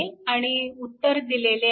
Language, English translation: Marathi, This is the answer